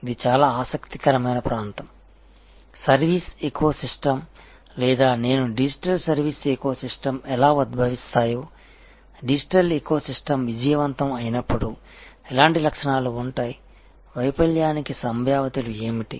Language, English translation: Telugu, This in itself is a very, very interesting area, that how the service ecosystems or I would say digital service ecosystems emerge, what are the properties when a digital ecosystem is successful, what are the possibilities of failure one has to guard against